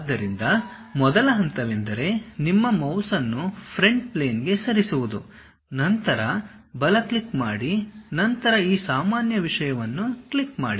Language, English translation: Kannada, So, first step is move your mouse onto Front Plane, then give a right click then click this normal thing